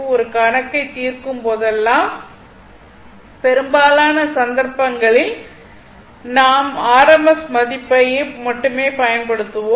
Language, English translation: Tamil, Whenever will find solve a numerical will use most of the cases only rms value right